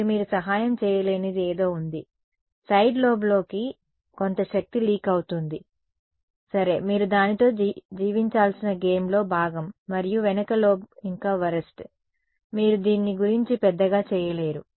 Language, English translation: Telugu, And there is something which you cannot help, there will be some energy that is getting leaked out into the side lobes ok, that is part of the game you have to live with it and even worse is the back lobe, you cannot do much about it this is what happens in realistic antennas